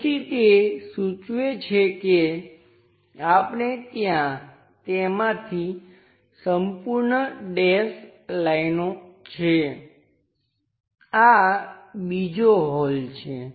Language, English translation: Gujarati, So, that clearly indicates that we have dashed lines throughout that, this is another hole